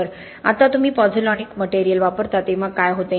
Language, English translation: Marathi, Now what happens when you use pozzolanic materials